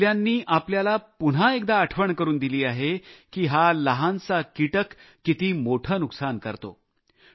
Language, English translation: Marathi, These attacks again remind us of the great damage this small creature can inflict